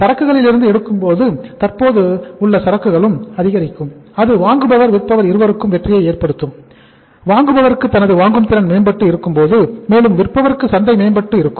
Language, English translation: Tamil, Taking out from the inventory existing inventory will also pick up and that will be a win win situation for the buyer also as well as for the seller also because buyer purchasing power has improved and for the seller the market has improved